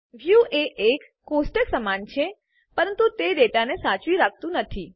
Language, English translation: Gujarati, A view is similar to a table, but it does not hold the data